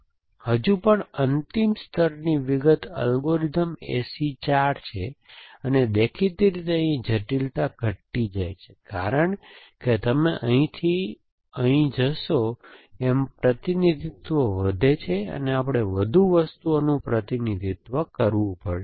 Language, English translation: Gujarati, So, that is the still final level detail algorithm A C 4 and, obviously the complexity decrease as you go from here to here representation increases, we have to represent more things essentially